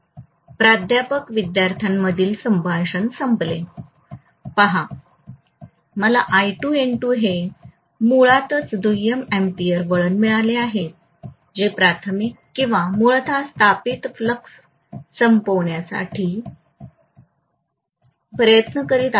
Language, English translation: Marathi, “Professor student conversation ends” See, we have got basically I2 N2 is the secondary ampere turns which were trying to kill the primary or originally established flux